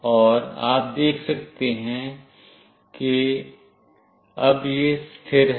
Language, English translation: Hindi, And you can see that it is now stable